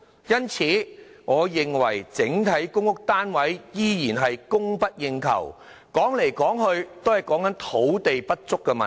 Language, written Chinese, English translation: Cantonese, 因此，我認為整體公屋單位依然供不應求，說到底也是土地不足問題。, In my opinion the inadequate supply of PRH boils down to the land shortage after all